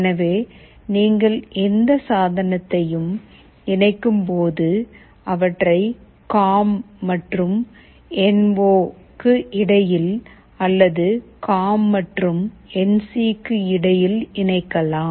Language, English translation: Tamil, So, when you connect any device you either connect them between the COM and NO, or between COM and NC